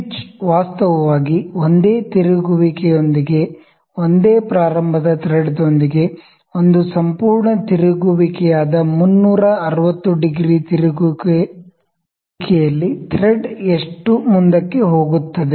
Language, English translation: Kannada, Pitch is actually with one rotation with the single start thread with one rotation, one complete rotation that is 360 degree rotation, how much forward does our thread go